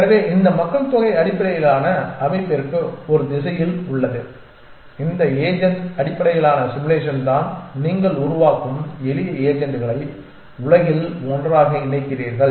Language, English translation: Tamil, So, the so there is one direction to this population based system is to is this agent based simulation you create simple agents put them together in a world